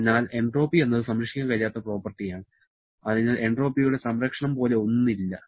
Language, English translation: Malayalam, So, entropy is a non conserved property, so there is nothing like conservation of entropy